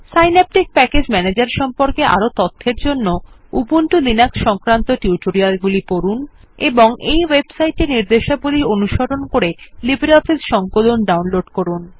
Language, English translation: Bengali, For more information on SynapticPackage Manager, please refer to the Ubuntu Linux Tutorials on this website And download LibreOffice Suite by following the instructions on this website